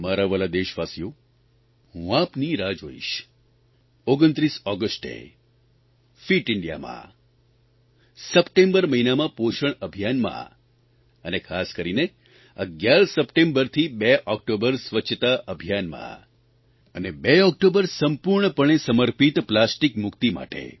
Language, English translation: Gujarati, My dear countrymen, I will be waiting for your participation on 29th August in 'Fit India Movement', in 'Poshan Abhiyaan' during the month of September and especially in the 'Swachhata Abhiyan' beginning from the 11th of September to the 2nd of October